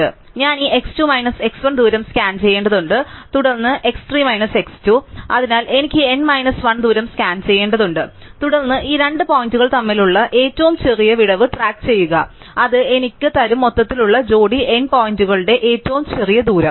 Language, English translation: Malayalam, So, I just need to scan this x 2 minus x 1 distance, then x 3 minus x 2, so I just need to scan these n minus 1 distances and then keep track of the smallest gap between these two points and that would give me the smallest distance among the overall pair of overall n points